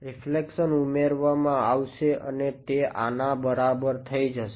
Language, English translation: Gujarati, The reflection will get added and it will be equal to this